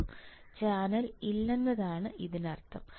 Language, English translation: Malayalam, It means a channel is not there